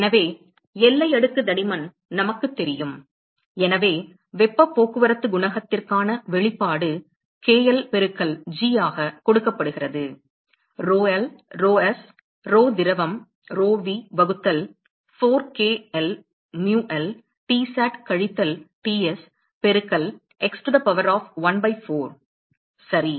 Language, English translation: Tamil, So, we know the boundary layer thickness; so, the expression for heat transport coefficient is given by k l into g; rho l, rho s, rho liquid, rho v divided by 4 k l, mu l, Tsat minus Ts into x to the power of 1 by 4 ok